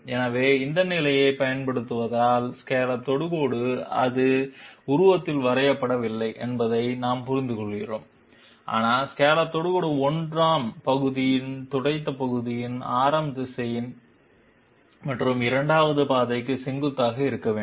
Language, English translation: Tamil, So applying this condition we understand that the scallop tangent, it is not drawn in the figure but the scallop tangent has to be perpendicular to the radius vector of the swept section of the 1st as well as the 2nd path